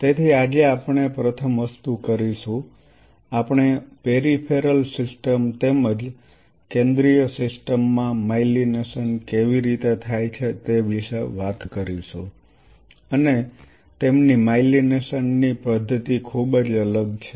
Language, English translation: Gujarati, So, today the first thing we will do we will talk about how the myelination happens in the peripheral system as well as in the central system and they have a very different pattern of myelination